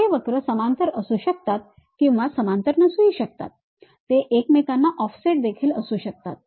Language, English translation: Marathi, These curves might be parallel, may not be parallel; they might be offset with each other also